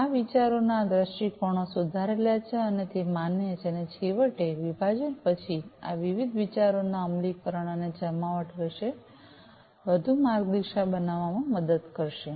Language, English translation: Gujarati, These viewpoints of these ideas are revised and they are validated and finally, after division, these will be helping to guide further guide in the implementation and deployment of the different ideas